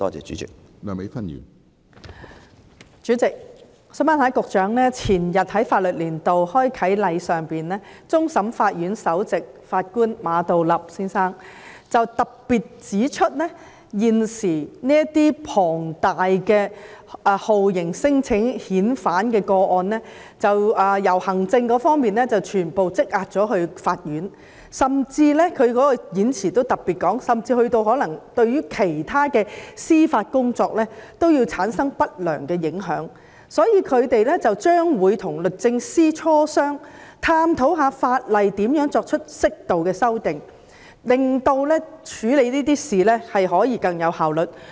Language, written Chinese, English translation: Cantonese, 主席，前日，在法律年度開啟典禮上，終審法院首席法官馬道立先生特別指出，現時這些數量龐大的酷刑聲請或免遣返聲請個案已經由積壓在行政機關，全部轉為積壓在法院，他在演辭中特別提到，這種情況甚至對其他司法工作產生不良影響，因此，他們會與律政司磋商，探討可如何對法例作出適度修訂，以便在處理這類事情時可以更有效率。, President the day before yesterday in the ceremonial opening of the legal year the Chief Justice of CFA Geoffrey MA pointed out specifically that at present the very large number of torture claims or non - refoulement claims which had created a backlog in the Executive had all been shifted to the Court . In particular he pointed out in his speech that this situation had an adverse impact on other judicial work . In view of this they would liaise with the Department of Justice with a view to exploring the possibility of introducing modest legislative amendments so as to facilitate a more efficient handling of such matters